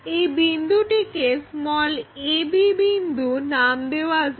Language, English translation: Bengali, So, this will be the a point